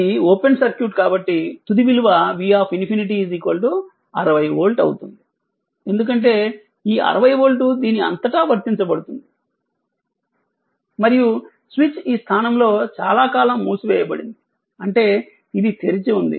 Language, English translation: Telugu, So, as it is open circuit, so V infinity is the final value will be just 60 volt, because this 60 volt is applied across, this and switch was closed at this position for long time that means this is open right, so V infinity will be 60 volt